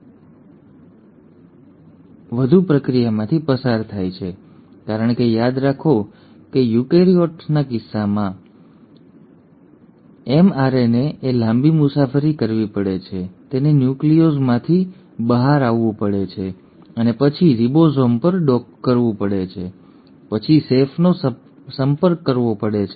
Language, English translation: Gujarati, And in case of eukaryotes the mRNA molecule then undergoes further processing because remember in case of eukaryotes, the mRNA has to travel a long journey, it has to come out of the nucleus and then dock on to a ribosome and then approach the chef